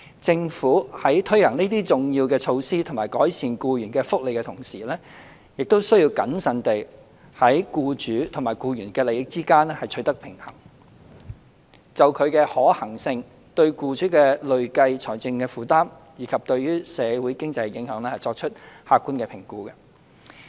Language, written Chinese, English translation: Cantonese, 政府在推行這些重要措施以改善僱員福利的同時，亦須謹慎地在僱主與僱員的利益之間取得平衡，並就其可行性、對僱主的累計財政負擔，以及對社會經濟的影響，作出客觀的評估。, While implementing these important measures to improve employees benefits the Government must also carefully strike a balance between the interests of employers and employees and also make an objective assessment in respect of the feasibility of such measures the cumulative financial burden borne by employers as well as their social and economic impact